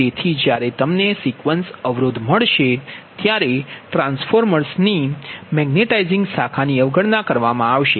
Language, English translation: Gujarati, so when you will find out the sequence impedance is of the transformer, that magnetizing branch will be your neglected